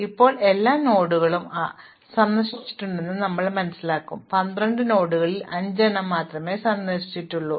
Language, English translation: Malayalam, Now, at this point we will realize that not all nodes have been visited only 5 out of the 12 nodes have been visited